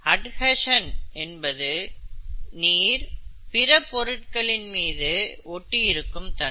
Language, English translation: Tamil, Adhesion is water sticking onto other surfaces that is what adhesion is okay